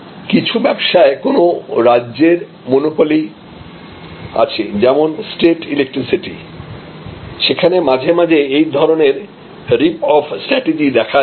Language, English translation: Bengali, So, certain types of state monopoly like the electricity supply, sometimes has this rip off strategy